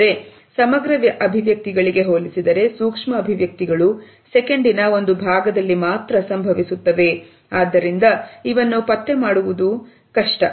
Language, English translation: Kannada, In comparison to that micro expressions occur in a fraction of a second and therefore, the detection is difficult